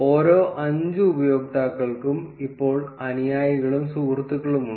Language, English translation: Malayalam, Each of the 5 users now have followers and friends count